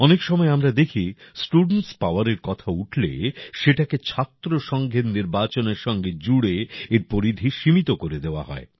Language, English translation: Bengali, Many times we see that when student power is referred to, its scope is limited by linking it with the student union elections